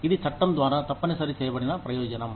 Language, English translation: Telugu, It is a benefit that, has been mandated by law